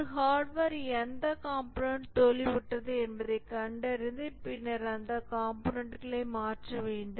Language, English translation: Tamil, For a hardware maybe need to identify which component has failed and then replace the component